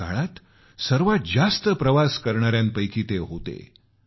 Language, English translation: Marathi, He was the widest travelled of those times